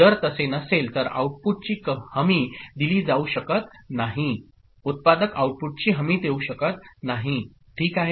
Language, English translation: Marathi, If it does not then, the output cannot be guaranteed, manufacturer cannot guarantee the output ok